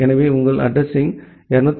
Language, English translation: Tamil, So, your address is 254